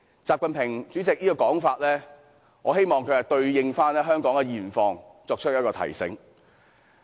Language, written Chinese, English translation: Cantonese, 這是主席習近平的說法，我希望他能對應香港的現況作出提醒。, This is what President XI Jinping has said and I hope he can give a reminder based on the present situation in Hong Kong